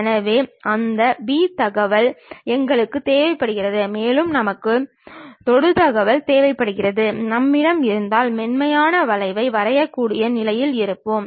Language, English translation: Tamil, So, we require that P informations and also we require the tangent informations, if we have we will be in a position to draw a smooth curve